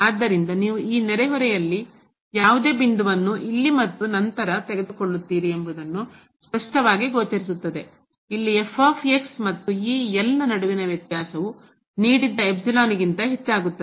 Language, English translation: Kannada, So, it is clearly visible that you take any point in this neighborhood here and then, the difference between the and this will increase than the given epsilon here